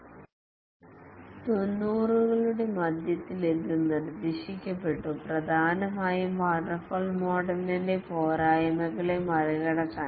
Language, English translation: Malayalam, It was proposed in mid 90s mainly to overcome the shortcomings of the waterfall model